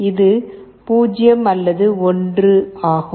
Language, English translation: Tamil, 0, if it is 2 it is 0